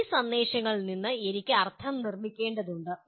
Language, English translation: Malayalam, And I need to construct meaning from these messages